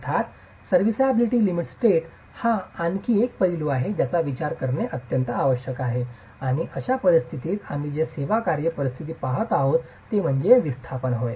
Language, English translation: Marathi, Of course, the serviceability limit state is the other aspect that needs to be considered and in this sort of a situation what we are really looking at at serviceability conditions is displacements for example